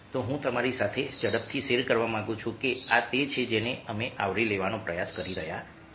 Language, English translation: Gujarati, so what i would like to quickly share with you is that this is what we trying to